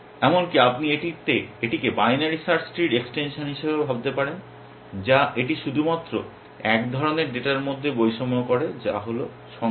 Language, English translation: Bengali, You might even think of it as a extension of binary search tree, which this discriminates between only one kind of data which is numbers